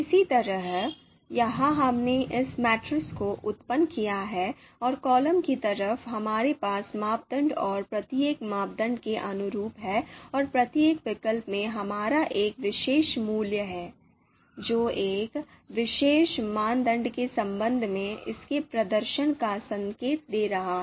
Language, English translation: Hindi, Similarly here, you know we have you know computed this generated this matrix and on the column side we have criteria and for you know corresponding to each criteria and you know each of our alternative is having one particular number, one particular value, which is indicating its performance with respect to a particular criteria